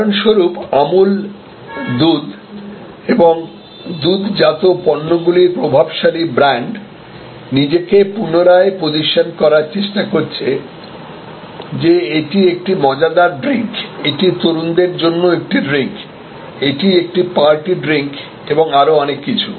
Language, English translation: Bengali, For example, Amul the dominant brand for milk and milk products is trying to reposition itself, that it is also a fun drink, it is a drink for the young people, it is a party drink and so on